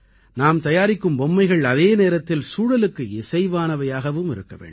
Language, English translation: Tamil, Let us make toys which are favourable to the environment too